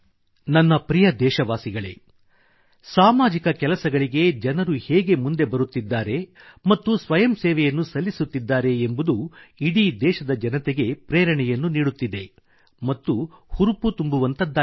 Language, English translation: Kannada, My dear countrymen, the way people are coming forward and volunteering for social works is really inspirational and encouraging for all our countrymen